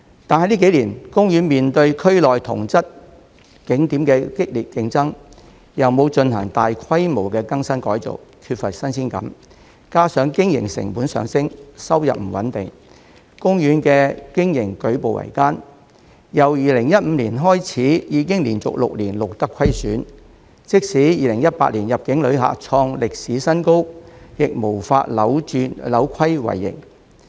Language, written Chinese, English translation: Cantonese, 但近幾年，公園面對區內同質景點的激烈競爭，又沒有進行大規模的更新改造，缺乏新鮮感，加上經營成本上升，收入不穩定，公園的經營舉步維艱，由2015年開始已經連續6年錄得虧損，即使2018年入境旅客創歷史新高，亦無法扭虧為盈。, However in recent years OP has faced fierce competition from similar attractions in the region and without major renew and renovation OP has become lacking in originality . This coupled with rising operating costs and unstable income has caused OP to face difficulties in its operation and record losses for six consecutive years since 2015 . Despite an all - time high in the number of inbound visitors in 2018 OP was still unable to turn from loss to profit